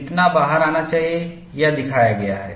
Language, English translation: Hindi, How much it should come out, is shown here